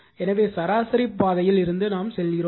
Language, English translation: Tamil, So, from mean path we take